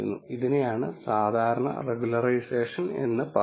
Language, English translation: Malayalam, This is what is typically called as regularization